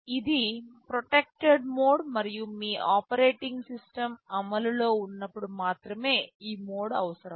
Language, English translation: Telugu, This is a protected mode and this mode is required only when there is an operating system in your implementation